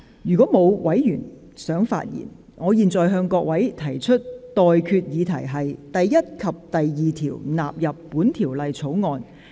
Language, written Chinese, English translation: Cantonese, 如果沒有委員想發言，我現在向各位提出的待決議題是：第1及2條納入本條例草案。, If no Member wishes to speak I now put the question to you and that is That clauses 1 and 2 stand part of the Bill